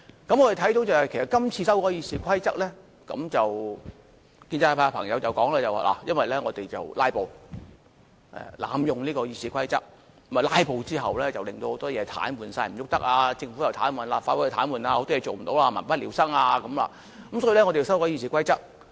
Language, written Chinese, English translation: Cantonese, 我們看到的是，其實就今次修改《議事規則》的建議，建制派朋友表示，因為我們"拉布"，濫用《議事規則》，"拉布"之後令到很多事情癱瘓，政府又癱瘓，立法會又癱瘓，許多事情做不到，民不聊生，因此要修改《議事規則》。, We can see that as far as the amendments to the Rules of Procedure are concerned pro - establishment Members say that they have to amend the Rules of Procedure because many things have come to a halt the Government and the Legislative Council are paralysed a lot of goals could not be achieved and people are living in the direst of circumstances because of our filibuster and our abuse of the Rules of Procedure